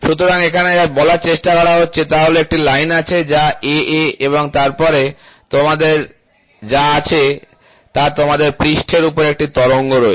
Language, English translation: Bengali, So, what they are trying to say is there is a line, ok, which is AA and then what you have is you have an undulation on the surface, ok